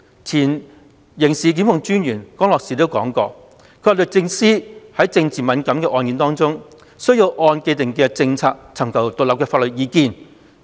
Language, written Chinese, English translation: Cantonese, 前刑事檢控專員江樂士亦表示，律政司在政治敏感的案件中須按既定政策，尋求獨立法律意見。, Former Director of Public Prosecutions Ian Grenville CROSS has also contended that DoJ must seek independent legal advice on politically sensitive cases in accordance with its established policies